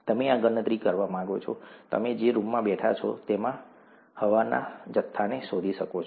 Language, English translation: Gujarati, You may want to do this calculation, find out the mass of air in the room that you are sitting in